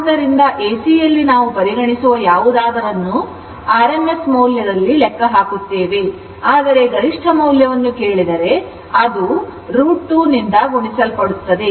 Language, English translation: Kannada, So, that that is the idea that in AC AC AC anything we calculation anything we do that is on rms value, but if it is ask the peak value, it will be multiplied by this your what you call root 2 right